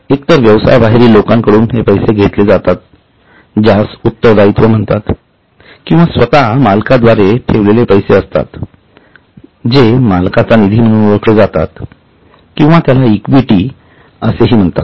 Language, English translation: Marathi, So, either it is money put in by outsiders which is known as liability or it is money put in by the owners themselves which is known as owners fund or it is also called as equity